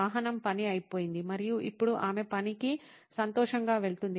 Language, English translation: Telugu, The vehicle is out of the way and now she is happy to go to work